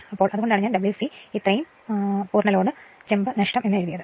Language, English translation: Malayalam, Now, that is why I have written W c is equal to this much full load copper loss